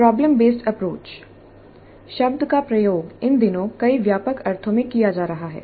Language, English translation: Hindi, The term problem based approach is being used in several broad senses these days